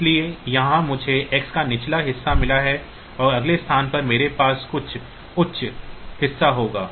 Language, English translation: Hindi, So, here I have got the X the lower part of it and at the next location I will have the higher part of it